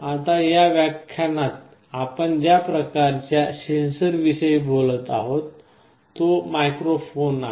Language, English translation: Marathi, Now, the last kind of sensor that we shall be talking about in this lecture is a microphone